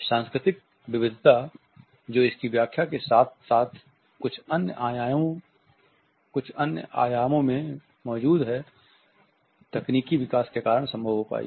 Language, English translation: Hindi, The cultural variations which exist in it is interpretation as well as certain other dimensions which have become possible because of technological development